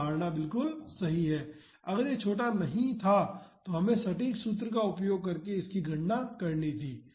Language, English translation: Hindi, So, the assumption is correct, if it was not small then we had to calculate it using the exact formula